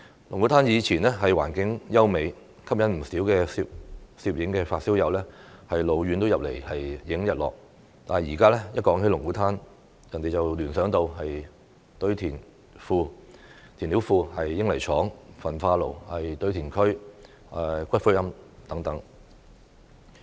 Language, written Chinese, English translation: Cantonese, 龍鼓灘以前環境優美，吸引不少攝影發燒友老遠來拍攝日落，但現在提到龍鼓灘，人們只會聯想到填料庫、英泥廠、焚化爐、堆填區、骨灰龕等。, Lung Kwu Tan used to have beautiful scenery and attract many photography enthusiasts to come from afar to take sunset photos . Nowadays however the mention of Lung Kwu Tan only reminds people of fill banks cement plants incinerators landfills columbaria and so on